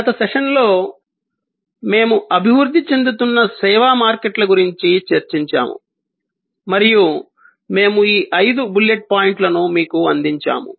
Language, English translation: Telugu, In the last session, we were discussing about the evolving service markets and we presented these five bullet points to you